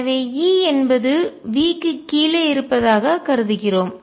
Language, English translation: Tamil, So, we are considering E is below V